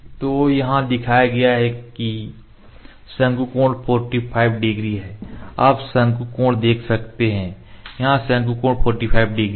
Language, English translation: Hindi, So, the cone angle here shown is the cone angle is 45 degree you can see the cone angle here cone angle is 45 degree